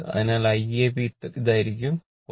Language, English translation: Malayalam, So, I ab will be this one, 4